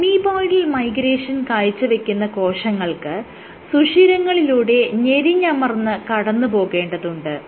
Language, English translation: Malayalam, Because on the amoeboidal migration case your cell has to squeeze through pores